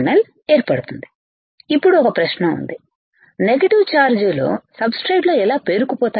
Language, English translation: Telugu, Now, there is a question, how negative charges accumulating in the substrate negative charges accumulating substrate